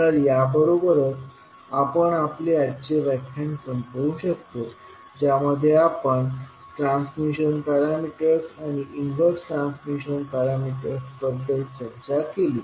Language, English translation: Marathi, So, with this we can close our today’s session in which we can discussed about the transmission parameter and inverse transmission parameter